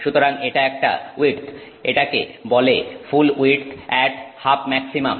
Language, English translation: Bengali, This is called full width at half maximum